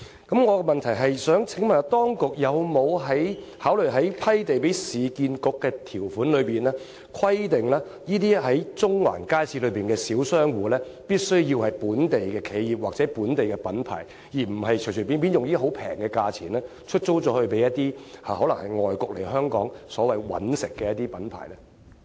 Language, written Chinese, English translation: Cantonese, 我的問題是，當局有否考慮在批地給市建局的條款中，規定那些在中環街市營運的小商戶必須要是本地企業或本地品牌，而不是隨便用低廉價錢出租給由外國來港"搵食"的品牌？, My question is as follows have the authorities considered specifying in the terms of the land grant agreement that the small business tenants to which URA leases the shops in Central Market Building shall have to be local enterprises or local branded products rather than overseas branded enterprises which come to Hong Kong to make profits at low rents?